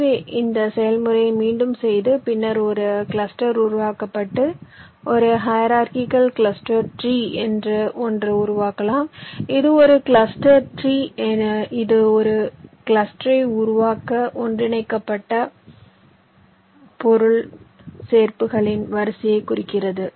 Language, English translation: Tamil, so you repeat this process and you stop when, subsequently, a single cluster is generated and something called a hierarchical cluster tree has been formed, a cluster tree which indicates this sequence of object pairs which have been merged to generate the single cluster